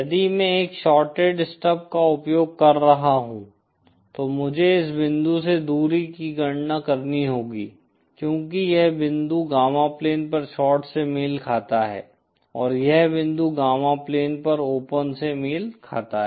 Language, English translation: Hindi, If I am using a shorted stub then I would have to calculate the distance from this point because this point corresponds to short on the gamma plane and this point corresponds to open on the gamma plane